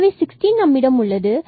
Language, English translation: Tamil, So, we have the 16, which is positive